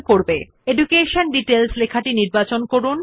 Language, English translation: Bengali, So first select the heading EDUCATION DETAILS